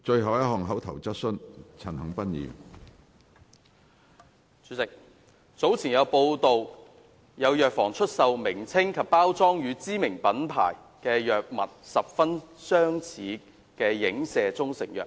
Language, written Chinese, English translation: Cantonese, 主席，早前有傳媒報道，有藥房出售名稱及包裝與知名品牌藥物十分相似的影射中成藥。, President according to some earlier media reports some pharmacies sell proprietary Chinese medicines pCms alluding to those of well - known brands with their names and packaging bearing strong resemblance to the latter